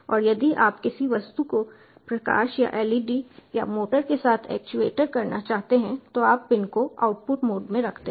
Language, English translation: Hindi, and if you want to actuate something, maybe a light or led or a motor, you put the pin in output mode